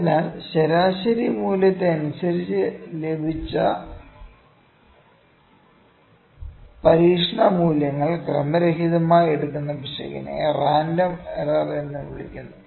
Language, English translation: Malayalam, So, the error that causes readings to take random like values about mean value is known as random error